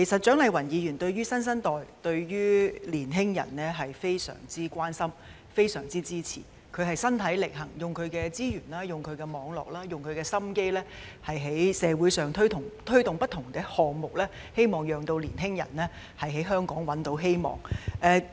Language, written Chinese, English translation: Cantonese, 蔣麗芸議員對於新生代、對於青年人是非常關心和支持的，她身體力行，用她的資源、網絡和心機，在社會上推動不同的項目，希望青年人在香港找到希望。, Dr CHIANG Lai - wan is very concerned about and supportive of the new generation and young people and by using her resources network and efforts she has taken concrete actions to promote various projects in society hoping that young people can find hope in Hong Kong